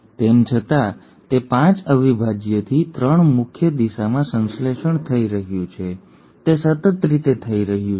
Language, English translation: Gujarati, Though it is getting synthesised in a 5 prime to 3 prime direction it is not happening in a continuous manner